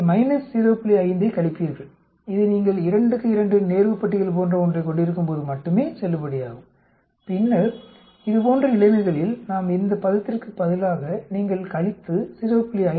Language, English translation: Tamil, 5 this is valid only when you have something like a 2 by 2 type of contingency table and then in such situations we just, instead of this term you subtract from, minus 0